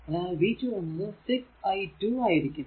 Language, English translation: Malayalam, So, v 2 will be minus 6 into i, right